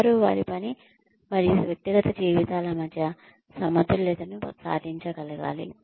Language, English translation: Telugu, They also need to be, able to achieve a balance, between their work and personal lives